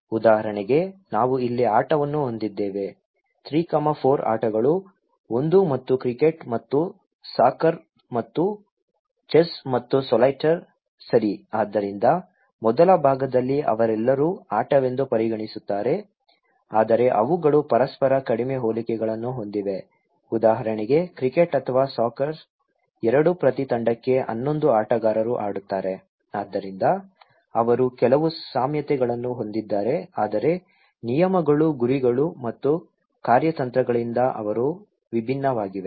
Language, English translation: Kannada, For example, we have the game here; 3, 4 games, one is and the cricket and in the soccer and the chess and solitaire okay so, in the first part they all consider to be a game but they have very less similarities with each other for example, the cricket or soccers both are 11 players play for each team so, they have some similarities but from the point of rules, aims and strategies they are quite different